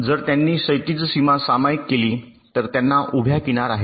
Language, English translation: Marathi, two blocks have a horizontal edge if they share a vertical boundary